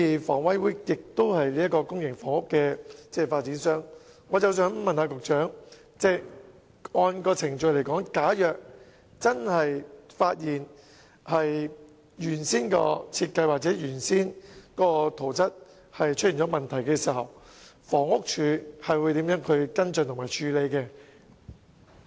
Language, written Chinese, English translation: Cantonese, 房委會是公營房屋的發展商，我想問局長，按照程序，假如真的發現原本的設計或圖則出現問題，房屋署會如何跟進和處理？, Since HA is the developer of public housing estates if it is really found that there are problems with the original design and drawings may I ask the Secretary how HD will follow up and handle the matter in accordance with the procedures?